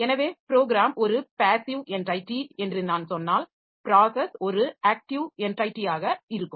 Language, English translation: Tamil, So, if I say that the program is a passive entity, process is going to be an active entity